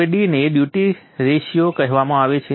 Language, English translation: Gujarati, Now D is called the duty ratio